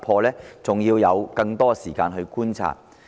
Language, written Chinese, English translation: Cantonese, 這還需要更多時間去觀察。, This warrants more time for observation